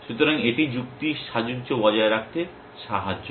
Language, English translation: Bengali, So, it sort of helps in maintain chain of reasoning